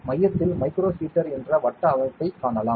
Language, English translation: Tamil, At the center you can see a circular structure which is a micro heater